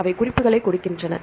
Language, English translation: Tamil, So, they give the references